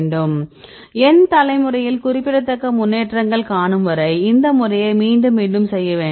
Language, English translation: Tamil, Do it again and again and again right up to the n generations or n significant improvements are is observed